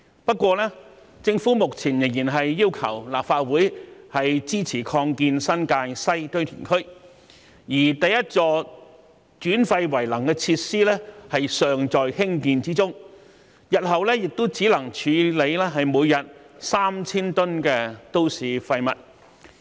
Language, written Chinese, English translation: Cantonese, 不過，政府目前仍然要求立法會支持擴建新界西堆填區，而第一座轉廢為能的設施尚在興建中，日後每天亦只能處理3000噸都市廢物。, However the Government is still seeking support from the Legislative Council for the extension of the West New Territories Landfill while the construction of the first waste - to - energy facility is underway and only 3 000 tonnes of municipal waste can be disposed of per day in future